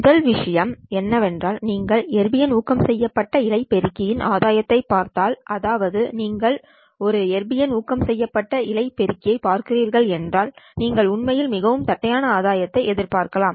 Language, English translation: Tamil, The first thing is if you want to look at the gain of the Arbium doped fiber amplifier, so you are looking at an Arbium doped fiber amplifier, you would actually expect a very flat gain